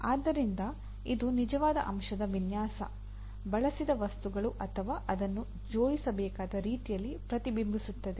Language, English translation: Kannada, So it will get reflected in the actual component design, the materials used, or the way it has to be assembled and so on